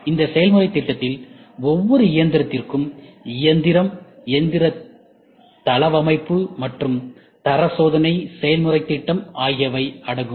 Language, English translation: Tamil, So, this process plan includes machine, machine layout, and quality checking process plan for each machine